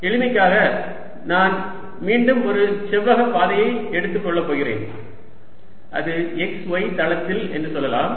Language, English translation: Tamil, for simplicity again, i am going to take a rectangular path, let us say in the x y plane